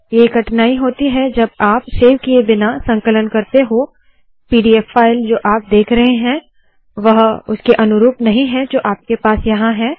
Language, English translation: Hindi, So this is the problem if you try to compile it, without saving, the pdf file that you see here does not correspond to what you have here